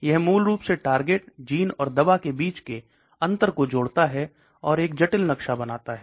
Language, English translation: Hindi, It stitches basically between the genes the target the drugs, and creates a very complicated map connection